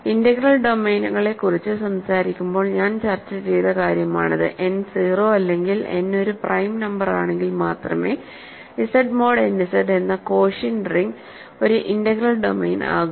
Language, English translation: Malayalam, This is something that I discussed when I talked about integral domains, the quotient ring Z mod n Z is an integral domain only if n is 0 or n is a prime number